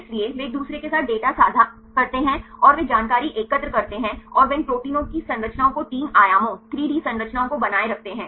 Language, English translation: Hindi, So, they share the data with each other and they collect the information and they maintain the structures of these protein three dimensions, 3D structures